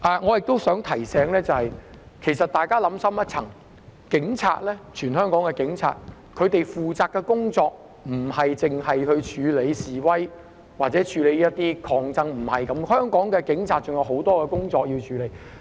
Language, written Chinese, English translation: Cantonese, 我亦想提醒大家，其實香港警察負責的工作不單是處理示威和抗爭，香港警察還有很多其他工作要處理。, I also wish to remind Members that the duties of the Hong Kong Police actually do not consist of dealing with protests and struggles only . There are many other tasks that the Hong Kong Police have to handle